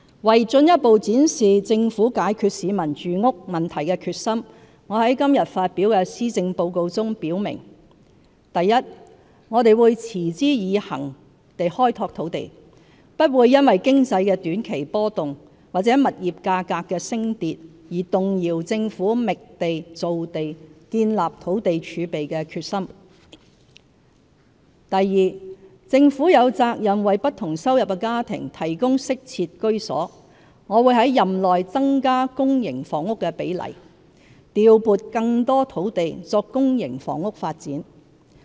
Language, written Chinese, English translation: Cantonese, 為進一步展示政府解決市民住屋問題的決心，我在今天發表的施政報告中表明： 1我們會持之以恆地開拓土地，不會因經濟的短期波動，或物業價格的升跌，而動搖政府覓地造地、建立土地儲備的決心； 2政府有責任為不同收入的家庭提供適切居所，我會在任內增加公營房屋的比例，調撥更多土地作公營房屋發展。, To further demonstrate the Governments determination to solve the housing problem faced by our people I stated in my Policy Address today that i we will develop land resources in a resolute and persistent manner―the Governments determination to identify and produce land and build a land reserve will never waver in face of short - term changes in economic environment or fluctuations in property prices; ii it is the Governments responsibility to provide decent housing for families in different income brackets . During my term of office I will increase the ratio of public housing and allocate more land for public housing development